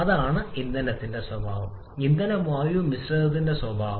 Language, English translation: Malayalam, That is the nature of the fuel, the nature of fuel air mixture that comes into play